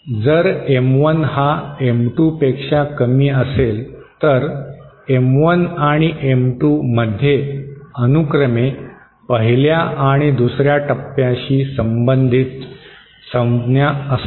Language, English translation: Marathi, If M1 is lesser than M2, both M1 and M2 have terms related to the 1st stage and the 2nd stage respectively